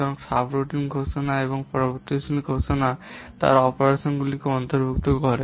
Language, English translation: Bengali, So subroutine declarations and variable declarations they comprise the operands